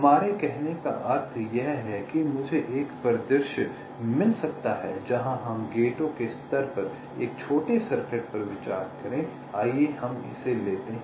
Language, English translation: Hindi, what we mean is that, let say, i can have a scenario where lets consider a small circuit at the level of the gates, lets take this